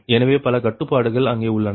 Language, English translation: Tamil, so so many constraints are there, right